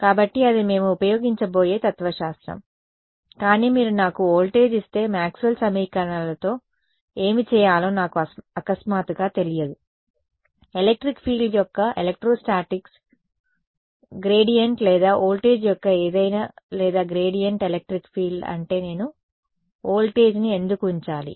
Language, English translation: Telugu, So, that is the philosophy that we are going to use, but if you give me voltage then I suddenly do not know what to do with Maxwell’s equations; why do I put voltage in that that is electrostatics right gradient of electric field or whatever or gradient of voltage is electric field yeah thats